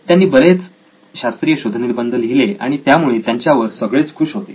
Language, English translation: Marathi, He wrote a bunch of scientific papers and everybody was happy with this